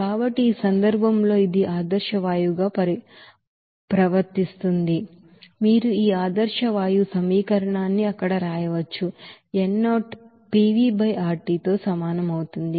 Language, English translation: Telugu, So in this case since it behaves as ideal gas, so you can write this ideal gas equation here, n0 will be equals to PV/RT